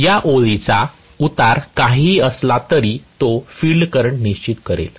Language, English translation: Marathi, Whatever, the slope of this line that is going to determine the field current